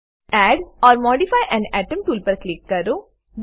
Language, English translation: Gujarati, Click on Add or modify an atom tool